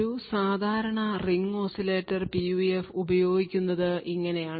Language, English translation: Malayalam, So, this is how a typical Ring Oscillator PUF is used